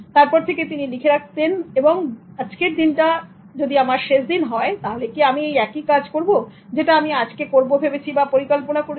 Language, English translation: Bengali, So he wrote on the mirror that if this day is the day that you are going to die, Would you do the same thing that you plan to do today